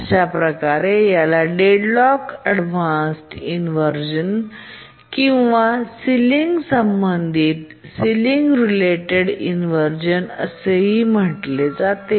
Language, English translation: Marathi, This is also called as deadlocked avoidance inversion or ceiling related inversion, etc